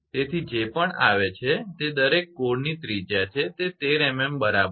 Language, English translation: Gujarati, So, whatever it comes that is radius of each core is 13 millimetre right